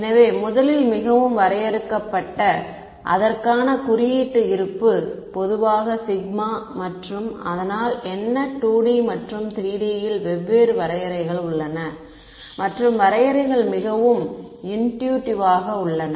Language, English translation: Tamil, So, first of all the very definition; the symbol reserve for it is usually sigma and so, what I have over here there are different definitions in 2 D and 3 D and the definitions are very intuitive